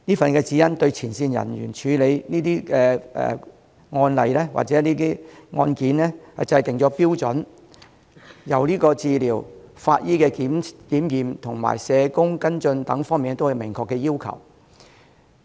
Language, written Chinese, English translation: Cantonese, 這份《指引》對前線人員處理這些個案或案件制訂了標準，由治療、法醫檢驗及社工跟進等方面都有明確要求。, The Guidelines set down the standards for handling these cases by the frontline staff specifying the requirements in respect of various aspects such as medical treatment forensic examination and follow - up work of social workers